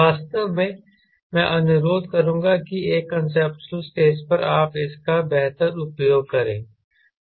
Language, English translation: Hindi, in fact, i would request request to, at a conceptual stage, you better use this